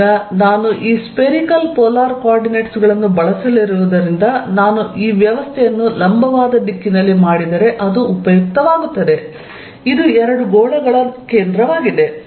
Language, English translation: Kannada, Let us now take how much is the charge in this region, now since I am going to use this spherical polar coordinates it will be useful if I make this arrangement in the vertical direction, this is the centre of the two spheres